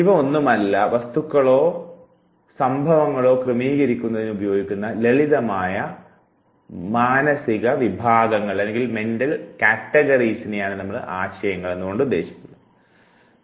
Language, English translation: Malayalam, These are nothing, but simple mental categories that are used in organizing the objects or events